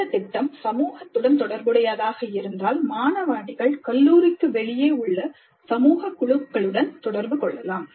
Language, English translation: Tamil, If the project is related to the community, the student teams may be interacting with social groups outside the institute as well